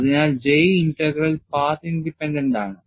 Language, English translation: Malayalam, So, J Integral is path independent